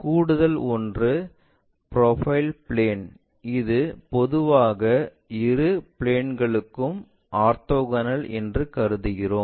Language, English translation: Tamil, The additional one is our profile plane which usually we consider orthogonal to both the planes that is this one